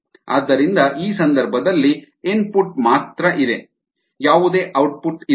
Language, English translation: Kannada, so in this case, there is only input, there is no output